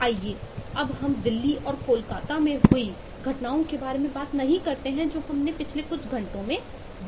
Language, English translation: Hindi, lets not talk about incidents in delhi and kolkatta that we have seen in last couple of hours